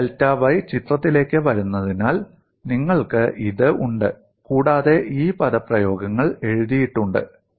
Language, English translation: Malayalam, So you have this, as i delta y coming to the picture, and suitably these expressions are written